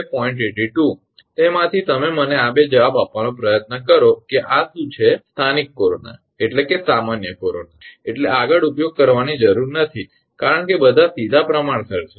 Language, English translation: Gujarati, 82 from that you will try to tell me these 2 answer what is this what is local corona what is general corona right no need to use further because all are directly proportional